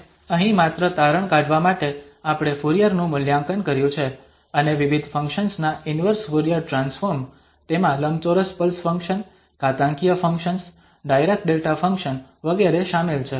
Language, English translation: Gujarati, And just to conclude here we have evaluated the Fourier and also inverse Fourier Transforms of various functions, those includes the rectangular pulse function, exponential functions, also the Dirac Delta functions etc